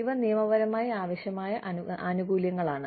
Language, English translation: Malayalam, These are legally required benefits